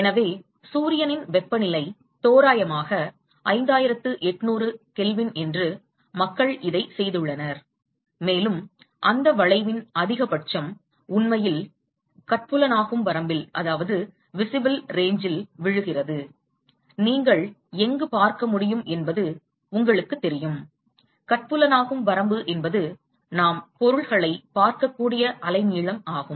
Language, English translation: Tamil, And so, people have done this for the temperature of Sun is approximately 5800K and it turns out that the maxima of that curve it actually falls in the visible range, you know where you can see, visible range is the wavelength at which we can see things